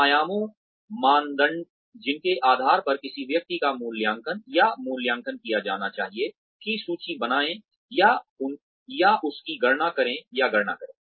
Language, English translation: Hindi, Make a list of, or enlist the, or enumerate the dimensions, the criteria on which, a person should be assessed or appraised